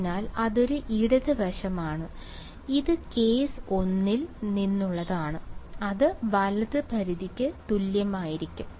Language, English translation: Malayalam, So, that is a left hand side right this is from case 1 and that should be equal to the right limit